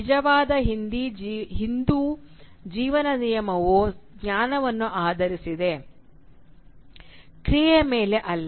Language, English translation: Kannada, The true Hindu rule of life is based on knowledge, not on action